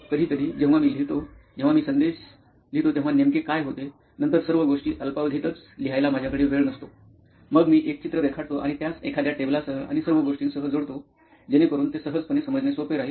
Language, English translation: Marathi, Sometimes when I write, what happens when I write messages, then I do not have time to write all the things in short time, then I draw a picture and connect it with something table and all so that it can be easily accessible